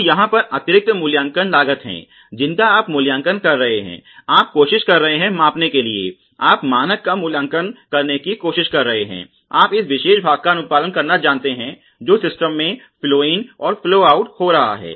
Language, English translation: Hindi, So, these are additional appraisal costs where you are appraising, you are trying to measure, you are trying to evaluate the standard, you know compliance of the particular part that is going through in the flow in flow out system ok of the process